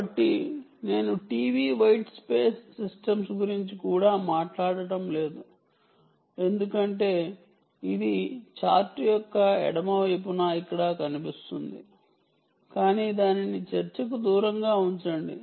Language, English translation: Telugu, so i am not even talking about t v white space systems, because that is well, it could appear here on the left side of the chart, but lets keep that out of discussion